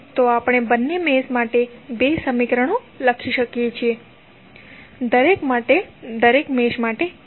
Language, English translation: Gujarati, So, we can write two equations for both of the meshes one for each mesh